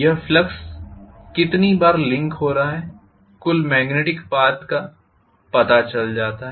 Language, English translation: Hindi, How many times this flux is linking with you know the total magnetic path